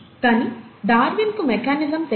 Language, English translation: Telugu, But, Darwin did not know the mechanism